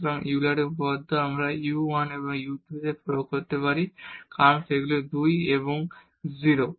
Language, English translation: Bengali, So, the Euler’s theorem we can apply on u 1 and u 2 because they are the homogeneous functions of order 2 and 0